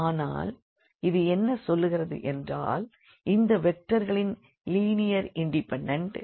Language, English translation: Tamil, So, here we have seen that these vectors are linearly independent